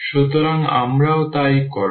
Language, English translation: Bengali, So, we will do the same